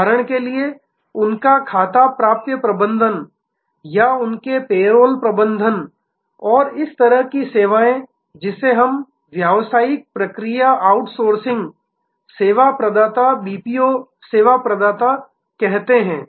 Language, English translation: Hindi, For example, their account receivable management or their payroll management and such services to this, what we call business process outsourcing, service providers, BPO service providers